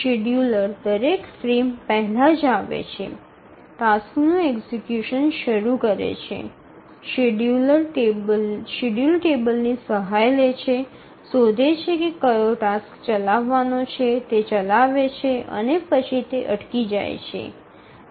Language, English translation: Gujarati, The scheduler comes up just before every frame, starts execution of the task, consults the schedule table, finds out which task to run, it runs and then it stops